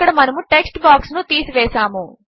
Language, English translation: Telugu, There, we have removed the text box